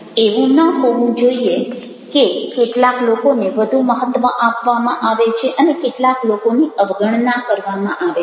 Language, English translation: Gujarati, it should not be that some people are given more important importance, some people are neglected